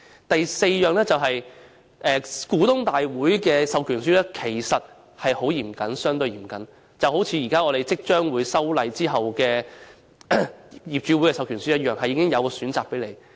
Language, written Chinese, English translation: Cantonese, 第四，股東大會的授權書其實相對嚴謹，正如我們現在即將進行的修例後的業主授權書般，須作出相關選擇。, Fourth actually the proxy forms for shareholders general meetings are relatively more stringent and require choice making just like the property owners proxy instruments following the legislative amendment exercise that we are about to take forward now